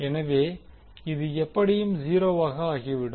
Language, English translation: Tamil, So, this will be anyway become zero